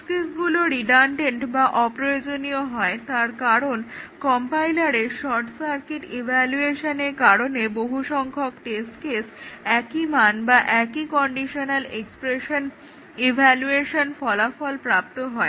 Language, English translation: Bengali, So, the test cases are redundant because due to the short circuit evaluation of the compiler, many of the test cases, they actually map to the same values or same expression evaluation, same conditional expression evaluation results